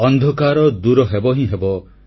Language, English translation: Odia, The darkness shall be dispelled